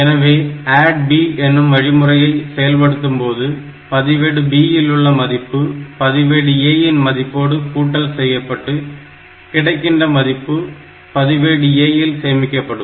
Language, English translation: Tamil, So, when you execute the instruction ADD B, what it will do it will add the content of register B with the content of register A, and the value will be stored in register A